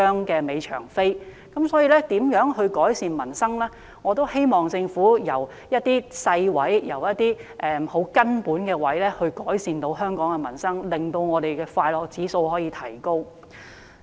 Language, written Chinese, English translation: Cantonese, 就有關如何改善民生方面，我希望政府從一些細微、根本之處着手，令香港人的快樂指數可以提高。, Regarding how to improve peoples livelihood I hope that the Government can start with some trivial and fundamental issues so as to raise the happiness index score among Hong Kong people